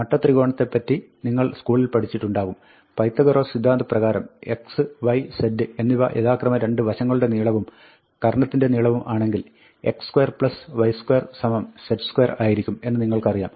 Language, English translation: Malayalam, So, you might have studied in school, from right hand, right angled triangles that, by Pythagoras’ theorem, you know that, if x, y and z are the lengths of the two sides and the hypotenuse respectively, then, x square plus y square will be z square